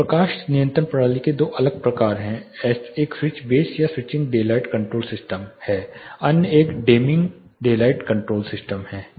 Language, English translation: Hindi, There are two different types of lighting control systems one is a switch base or switching daylight control system, other is a dimming daylight control system switching is working